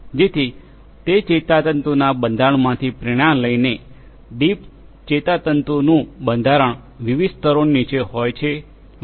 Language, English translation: Gujarati, So, inspired from that neural structure, the deep neural structure that is underneath different different layers etc